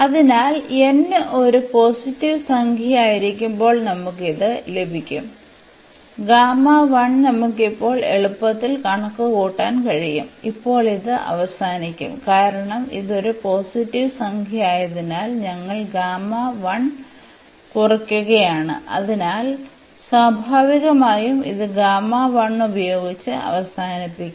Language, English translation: Malayalam, So, we will get this when n is a positive integer the simplification we will get that the gamma 1 we can easily compute now and now we will end up with because this was a positive integer and we are just reducing by 1, so, we will end up with this gamma 1 naturally